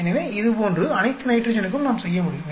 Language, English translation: Tamil, So, like that we can do for all the nitrogen